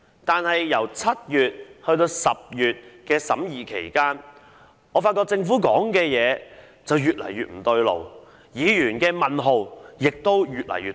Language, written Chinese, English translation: Cantonese, 但是，在7月至10月審議期間，我們發現政府的說法越來越不對勁，議員的問號亦都越來越多。, However during the scrutiny period from July to October we realized something was not quite right with the Governments version and Members had more and more questions